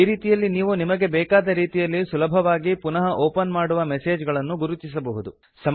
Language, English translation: Kannada, This way you can easily identify messages you want to open again